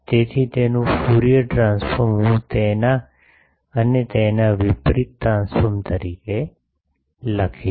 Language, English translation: Gujarati, So, its Fourier transform I will write as and its inverse transform ok